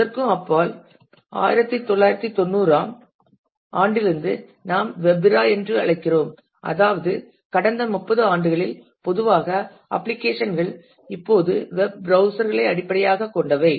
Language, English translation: Tamil, And beyond that we have the what we call the web era which is 1990 onwards we in the that is that is about roughly the last 30 years where typically the applications are now based on web browsers